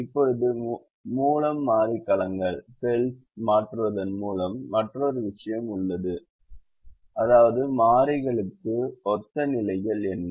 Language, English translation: Tamil, now by, there is another thing called by changing the variable cells, which means what are the positions that correspond to the variables